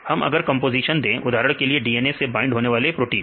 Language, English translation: Hindi, So, we gave the composition for example, here DNA binding proteins